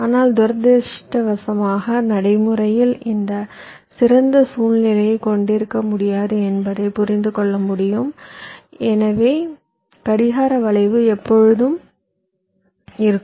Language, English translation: Tamil, but unfortunately, as you can understand, we cannot have this ideal situation in practice, so we will have to live with clock skew